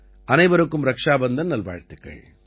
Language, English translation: Tamil, Happy Raksha Bandhan as well to all of you in advance